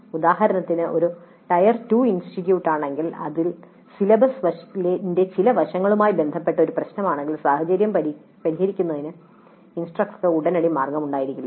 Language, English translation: Malayalam, For example if it is a tire to institute and if it is an issue related to certain aspect of the syllabus then the instructor may not have an immediate way of remedying that situation